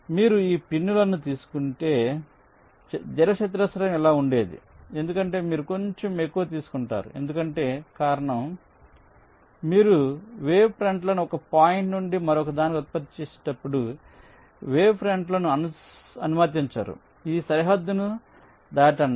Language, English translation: Telugu, so if you take this prints, the rectangle would have been this: you take a little more because the reason is that, ok, here is the idea that when you generate the wavefronts from one point to the other, you do not allow the wavefront to cross this boundary, which means your wavefronts will only be limited to this rectangle